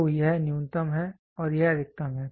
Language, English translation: Hindi, So, this is minimum and this is maximum